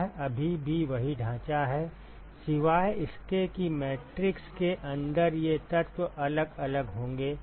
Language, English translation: Hindi, It is still the same framework except that these elements inside the matrix is going to be different